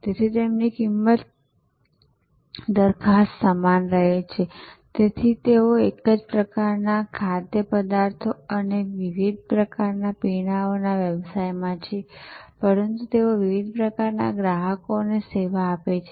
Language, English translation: Gujarati, So, their value proposition remains the same, they are in the same kind of food and beverage business, but they serve number of different types of customers